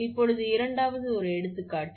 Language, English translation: Tamil, So, this is your example 2